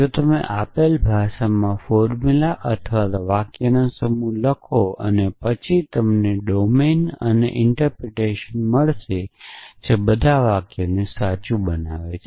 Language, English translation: Gujarati, So, if you write a set of formulas or sentences in a given language and then you get find the domain and an interpretation which makes all those sentences true